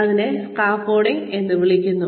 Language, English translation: Malayalam, This is called scaffolding